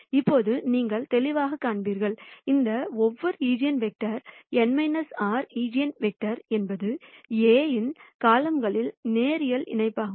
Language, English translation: Tamil, Now you will clearly see that, each of these eigenvectors; n minus r eigenvectors are linear combinatins of the columns of A